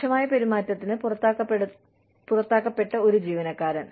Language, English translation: Malayalam, An employee, who is discharged for gross misconduct